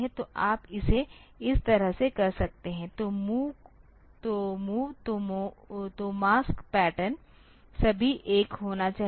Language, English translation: Hindi, So, that you can do it like this, so move so for that the mask pattern should be all 1